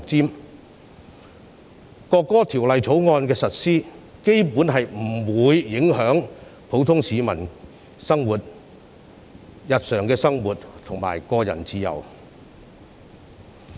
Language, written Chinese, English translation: Cantonese, 基本上，《條例草案》的實施不會影響普通市民的日常生活及個人自由。, Basically the implementation of the Bill will not affect the daily life and personal freedom of the masses